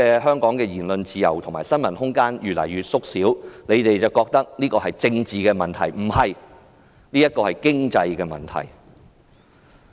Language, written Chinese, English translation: Cantonese, 香港言論自由和新聞自由空間的已越縮越小，建制派認為是政治問題，不，這是經濟問題。, The room for freedom of speech and of the press has been shrinking . The pro - establishment camp thinks this is a political issue . No it is an economic issue